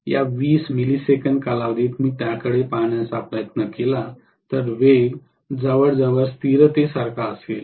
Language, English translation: Marathi, Within this 20 millisecond period if I try to look at it, speed will be almost like a constant